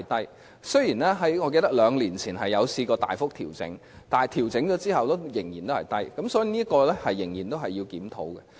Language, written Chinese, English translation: Cantonese, 我記得雖然在兩年前曾經大幅調整，但調整後收費仍然很低，所以這方面仍須檢討。, I recall that the fees were substantially adjusted two years ago but they remain to be very low after the adjustment and for this reason a review is still warranted